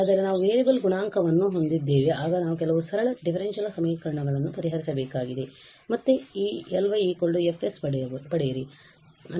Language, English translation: Kannada, But we have the variable coefficient then we need to solve some simple differential equations to again get this L y is equal to F s form